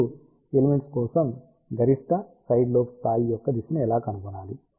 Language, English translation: Telugu, Now, how to find the direction of maximum side lobe level for elements